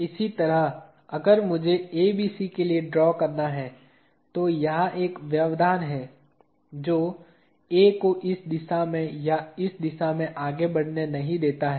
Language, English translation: Hindi, In a similar way if I have to draw for ABC, there is one restraint here which does not let A move in this direction or in this direction